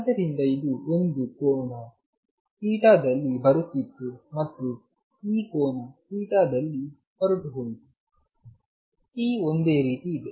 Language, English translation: Kannada, So, it was coming at an angle theta and went out at this angle theta, keeping the p the same